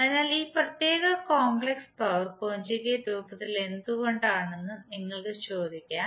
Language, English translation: Malayalam, So you may ask that why this particular complex power is in the form of conjugate